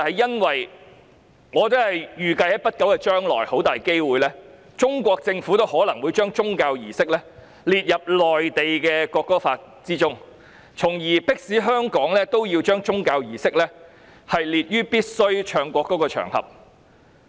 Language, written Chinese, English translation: Cantonese, 因為我預計在不久將來，中國政府很大機會將宗教儀式列為內地《國歌法》中須奏唱國歌的場合，從而迫使香港同樣把宗教儀式列入附表3。, Because I foresee that in the near future the Chinese Government will very likely provide in the Mainland National Anthem Law that religious services are the occasions on which the national anthem must be played and sung thereby compelling Hong Kong to likewise set out religious services in Schedule 3